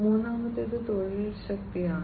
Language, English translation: Malayalam, Third is the work force